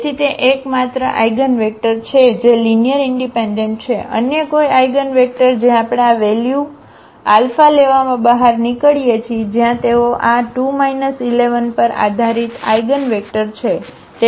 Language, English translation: Gujarati, So, that is the only one eigenvector which is linearly independent, any other eigenvector which we get out of taking this value alpha where they are the dependent eigenvectors on this 2 minus 1 1